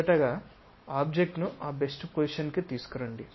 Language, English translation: Telugu, First of all, orient the object to that best position